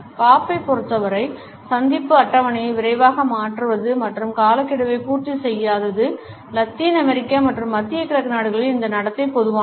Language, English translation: Tamil, For Bob it is normal to quickly change appointment schedules and not meet deadlines this behavior is common in Latin American and middle eastern countries